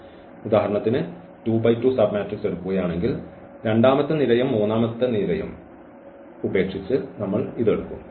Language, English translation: Malayalam, So, if we take any this 2 by 2 submatrix for example, we take this one by leaving this second row third column and the third row